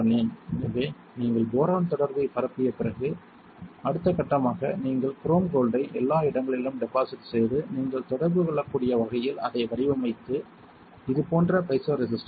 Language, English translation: Tamil, So, after you diffuse boron contact the next step would be you you deposit chrome gold everywhere right like this and then pattern it such that you can only have contact so, there was the piezo resistor right like this like this